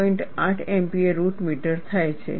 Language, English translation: Gujarati, 8 Mpa root meter